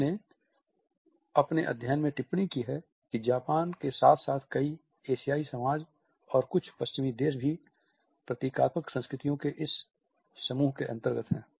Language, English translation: Hindi, In Hall’s studies he has commented that Japan as well as several Asian societies and certain Western countries are also under this group of symbolic cultures